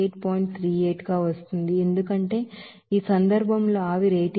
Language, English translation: Telugu, 38 there because in this case this steam is 88